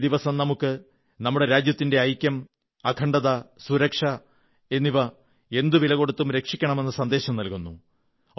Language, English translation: Malayalam, This day imparts the message to protect the unity, integrity and security of our country at any cost